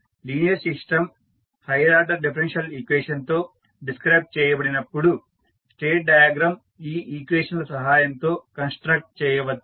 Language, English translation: Telugu, So, when the linear system is described by higher order differential equations the state diagram can be constructed from these equations